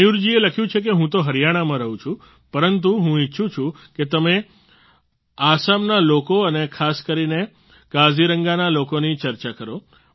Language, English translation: Gujarati, Mayur ji has written that while he lives in Haryana, he wishes us to touch upon the people of Assam, and in particular, the people of Kaziranga